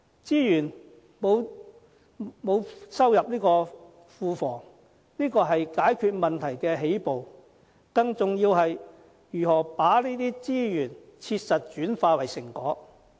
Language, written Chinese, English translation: Cantonese, 資源沒有收歸庫房，這只是解決問題的起步，更重要的是，如何把這些資源切實轉化為成果。, It is good that he does not put the surplus resources in the Treasury but this should only be the first step in addressing the problem